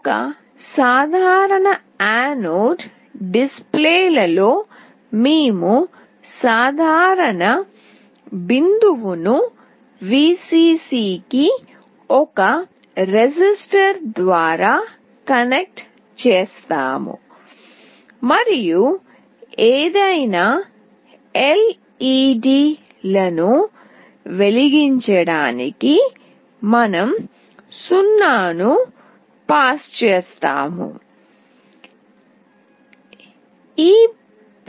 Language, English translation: Telugu, In a common anode display we will be connecting the common point through a resistor to Vcc, and to glow any of the LEDs we have to pass a 0